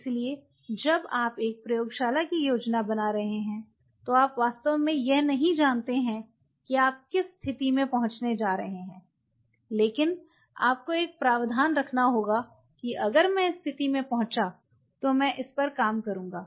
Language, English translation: Hindi, So, you never know when you are planning a lab you really do not know where you are going to land up with, but you have to have a provision that you know if I land up with it I will be working on it